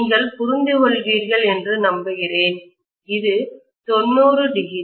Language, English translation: Tamil, I hope you understand, this is 90 degrees